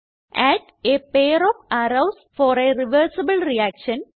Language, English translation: Malayalam, * Add a pair of Arrows for a reversible reaction